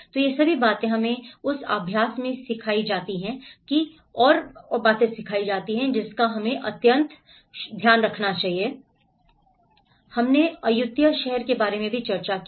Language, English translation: Hindi, So all these things, we are learnt in that exercise and there is one more we have also discussed about the city of Ayutthaya